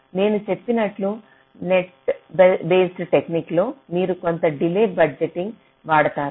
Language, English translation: Telugu, so, net based technique, as i had said, you have to do some kind of delay budgeting